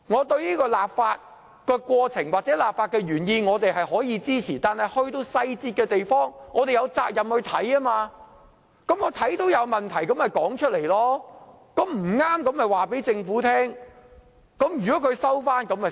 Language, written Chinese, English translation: Cantonese, 對於立法的過程或立法的原意，我們可予以支持，但在細節上，我們有責任要審閱，看到有問題便說出來，將錯誤的地方告訴政府。, As regards the process or the intent of enacting the legislation we can provide our support yet we are duty bound to scrutinize the details and remind the Government about any problems found